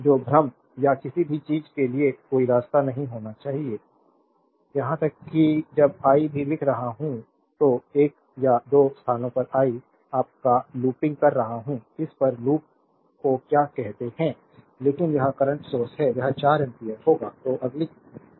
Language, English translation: Hindi, So, there should not be any path for confusion or anything even when I am writing also one or two places I am over looping your, what you call over loop looking on this, but this is current source it will be 4 ampere